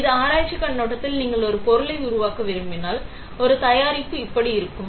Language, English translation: Tamil, This is from research point of view; if you want to make a product, a product will look like this